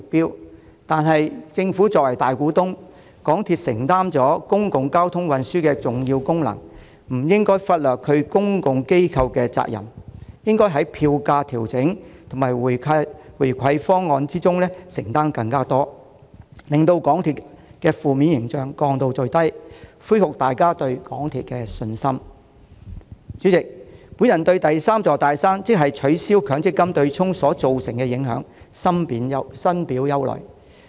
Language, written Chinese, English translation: Cantonese, 然而，港鐵既由政府作為大股東，又承擔公共交通運輸的重要功能，便不應忽略其公共機構的責任，應當在票價調整和回饋方案上作出更多承擔，從而盡量改善公司的負面形象，恢復大家對港鐵的信心。代理主席，我對第三座"大山"，即取消強積金對沖機制所造成的影響深表憂慮。, Yet with the Government as its majority shareholder and its key function as a public transport mode MTRCL should not overlook its responsibilities as a public organization . It should make more commitments to FAM and profit sharing measures so as to repair its negative image and restore public confidence in MTRCL as much as possible Deputy President I am deeply worried about the ramifications caused by the removal of the third big mountain namely the MPF offsetting mechanism